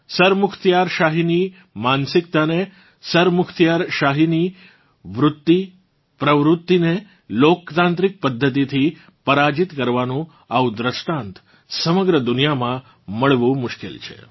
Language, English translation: Gujarati, It is difficult to find such an example of defeating a dictatorial mindset, a dictatorial tendency in a democratic way, in the whole world